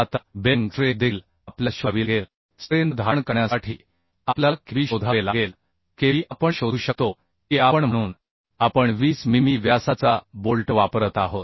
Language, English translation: Marathi, 6 kilonewton Now bearing strength also we have to find out for bearing strength we have to find out Kb Kb we can find out if we as we are using 20 mm diameter of bolts so pitch we can provide 2